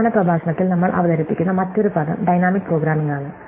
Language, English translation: Malayalam, So, the other term that we introduce in the last lecture is dynamic programming